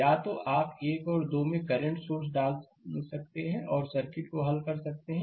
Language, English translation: Hindi, Similarly, your either you can put a current source across 1 and 2 and solve the circuit